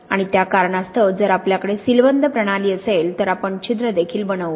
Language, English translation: Marathi, And for that reason if we have a sealed system then we will also form voids which are also pores